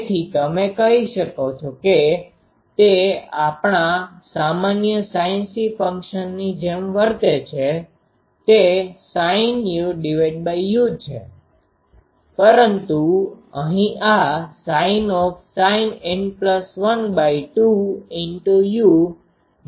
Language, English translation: Gujarati, So, this is you can say behaves much like the our normal sinc function it is sin u by u, but here this is sin N plus 1 by 2 u by sin u